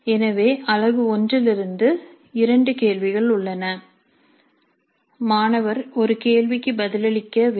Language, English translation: Tamil, So there are two questions from unit 1, student has answer one question